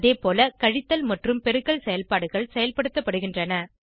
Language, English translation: Tamil, Similarly the subtraction and multiplication operations can be performed